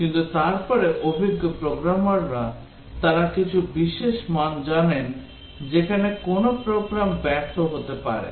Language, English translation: Bengali, But then experienced programmers they know some special values where a program might fail